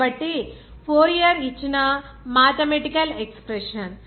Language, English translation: Telugu, So, this mathematical expression given by Fourier